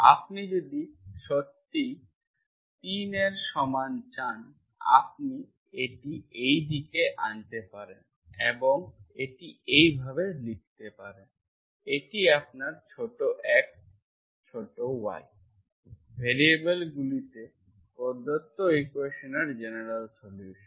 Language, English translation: Bengali, If you really want equal to 3, you can bring it on this side and write it like this, this is your general solution of given equation in the variables small x, small y